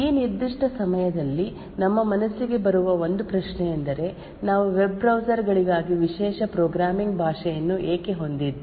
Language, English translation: Kannada, One question that actually comes to our mind at this particular point of time is why do we have a special programming language for web browsers